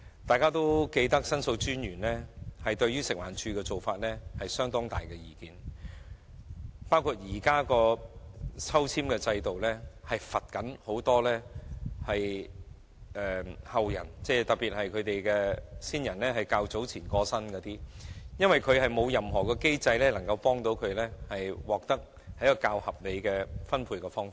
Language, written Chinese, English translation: Cantonese, 大家應該記得，申訴專員對於食環署的做法很有意見，認為現時的抽籤制度是在懲罰後人，特別是較早前剛有親人過身的後人，因為現時並沒有任何機制幫助他們獲得較合理的分配。, Members may recall that The Ombudsman had expressed strong views about the practice adopted by FEHD saying that the balloting exercise was indeed a punishment to the descendants especially those who have recently lost their family members and there is currently no other mechanism that can offer a more reasonable allocation